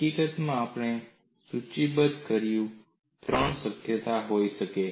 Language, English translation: Gujarati, In fact, we listed there could be three possibilities